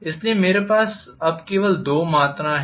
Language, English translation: Hindi, So I have now two quantities only